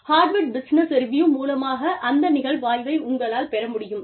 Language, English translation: Tamil, The case study is available, through Harvard Business Review